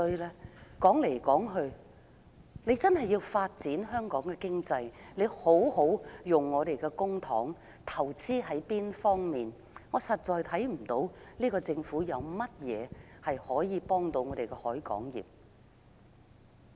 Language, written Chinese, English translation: Cantonese, 如果真的要發展香港經濟，政府便應善用公帑進行投資，但我實在看不到這個政府有何措施，協助本港海運業的發展。, If the Government is sincere in developing our economy it should invest public money wisely . However I really cannot see any government efforts that foster the growth of our maritime industry